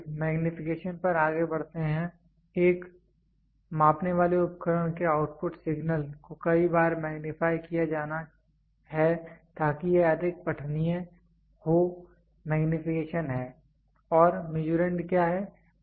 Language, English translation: Hindi, So, further moving on magnification; the output signal from a measuring device is to be magnified many times to make it more readable is magnification and what is Measurand